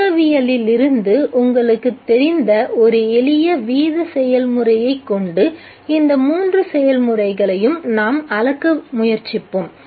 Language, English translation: Tamil, Let us try and quantify these three processes by a simple rate process that you are familiar with from the kinetics